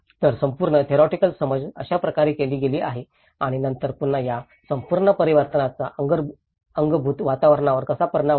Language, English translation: Marathi, So, this is how the whole theoretical understanding has been done and then again how this whole transformation has an impact on the built environment